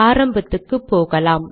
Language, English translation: Tamil, Lets go to the beginning